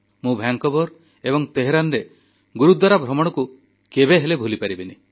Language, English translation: Odia, I can never forget my visits to Gurudwaras in Vancouver and Tehran